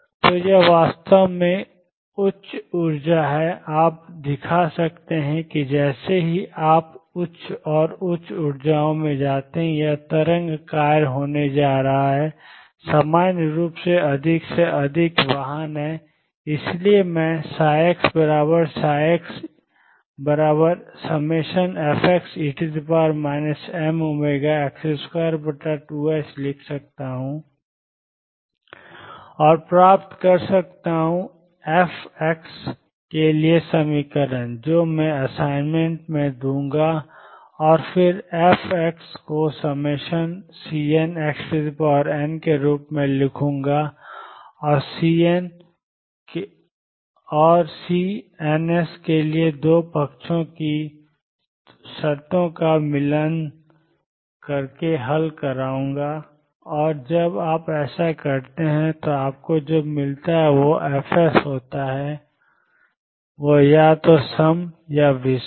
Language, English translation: Hindi, So, it is higher energy in fact, you can show that as you go to higher and higher energies these are going to be wave function is more and more vehicles in general therefore, I can write psi x equals sum f x e raised to minus m omega over 2 h cross x square and derive an equation for f x which I will give in the assignment and then write f x as sum C n times x raised to n finite polynomial and solve for C ns by matching the conditions in the 2 sides and when you do that what you find is fs come out to be either even or odd